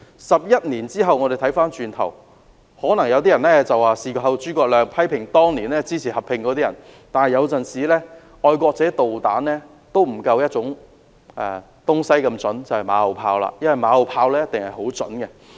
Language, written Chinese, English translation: Cantonese, 在11年後，回望當年，可能有人會批評當年支持合併的人"事後諸葛亮"，但有時候"愛國者導彈"都不及"馬後炮"來得準確，因為"馬後炮"一定十分準確。, In retrospect 11 years later perhaps some people may criticize those supporting the merger for claiming credits in hindsight . But sometimes a patriot missile is not as accurate as remarks made by people in hindsight